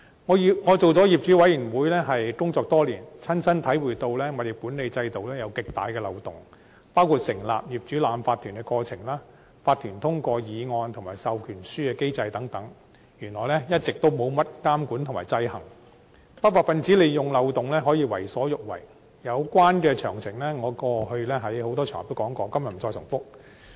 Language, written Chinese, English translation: Cantonese, 我參與業主委員會工作多年，親身體會到物業管理制度存在極大漏洞，包括成立業主立案法團的過程、法團通過議案及授權書機制等，原來一直沒甚麼監管和制衡，不法分子利用漏洞為所欲為，有關的詳情，我過往在多個場合均有提及，今日不再重複。, During my participation in the work of the owners committee throughout all these years I have personally seen some major loopholes in the building management system . Some examples concern the process of setting up owners corporations OCs OCs passage of resolutions and the proxy instrument mechanism . I have come to realize that there is a persistent lack of regulation or checks and balances in these aspects and this has enabled unruly elements to do whatever they want by exploiting the loopholes